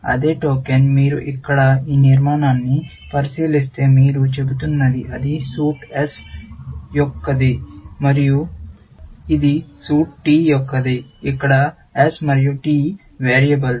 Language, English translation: Telugu, The same token, if you look at this structure here, all you are saying is that it is of suit S, and this is of suit T where, S and T are variables